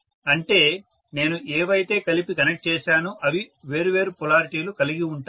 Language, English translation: Telugu, That is whatever I have connected together they are of different polarity